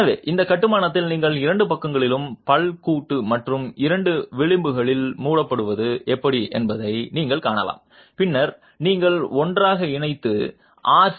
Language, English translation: Tamil, So, you can see how in this construction you have the tooth joint at the two sides and shuttering on the two edges which then has to be held in position